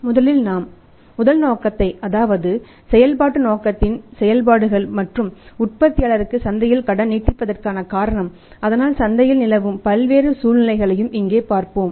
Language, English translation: Tamil, First we will learn about the first motive that is operations of the operating motive and here the reason for extending credit in the market for the manufacturer's that there can be different situations in the market